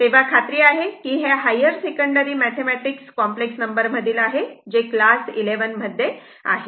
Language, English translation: Marathi, So, hope this is from your this is from your higher secondary mathematics in complex numbers chapter right class 11